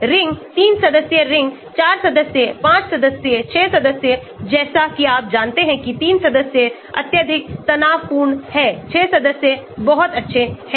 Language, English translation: Hindi, rings; 3 membered rings, 4 membered, 5 membered, 6 membered as you know highly strained 3 membered, 6 member is very good